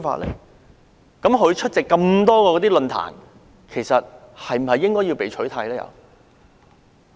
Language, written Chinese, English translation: Cantonese, 他曾出席的多個論壇，是否應該全部被取締？, Should all the forums that he attended in the past be banned?